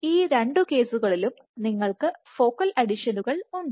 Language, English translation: Malayalam, Both these cases you have focal adhesions